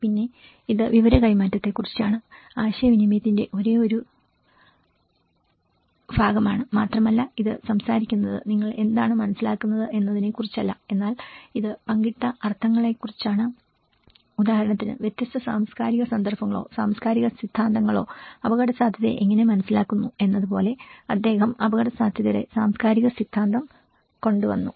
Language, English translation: Malayalam, Then it is also about the information transmission, is the only one part of communication and it also talks about itís not about what you understand what you understand, but itís about the shared meaning and like for example how risk is perceived by different cultural contexts or cultural theories, he brought about the cultural theory of risk